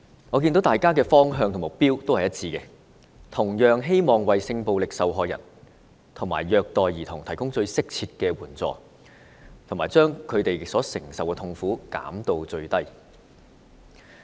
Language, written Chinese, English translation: Cantonese, 我看到大家的方向和目標都是一致的，同樣是希望為性暴力受害人和受虐兒童提供最適切的援助，把他們所承受的痛苦減至最低。, I notice that we are all working towards the same direction and goal . We all wish to provide suitable assistance to sexual violence victims and abused children to minimize their pain